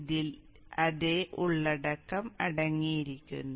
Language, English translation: Malayalam, This contains exactly the same content as that was